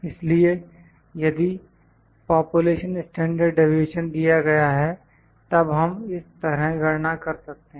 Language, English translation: Hindi, So, if the process, if the population standard deviation is given, then we can calculate like this